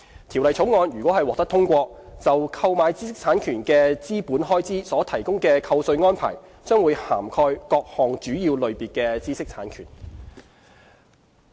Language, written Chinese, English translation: Cantonese, 《條例草案》如獲通過，就購買知識產權的資本開支所提供的扣稅安排，將會涵蓋各項主要類別的知識產權。, If the Bill is passed the tax deduction arrangement will cover capital expenditure incurred for the purchase of various major types of IPRs